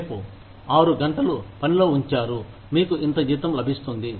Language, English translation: Telugu, Tomorrow, you put in six hours of work, you get, this much salary